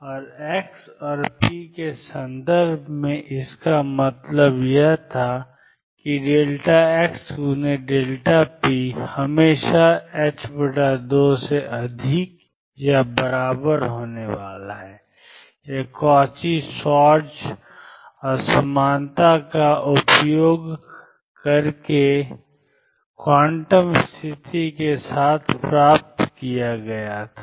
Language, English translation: Hindi, And in terms of x and p what it meant was the delta x, delta px is always going to be greater than or equal to h cross by 2 this was obtained, using the Cauchy Schwartz inequality, along with the quantum condition